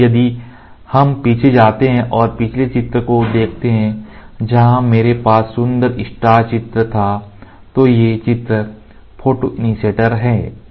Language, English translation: Hindi, So, if we go back and see the previous diagram where I had beautiful star figures these figures are photoinitiators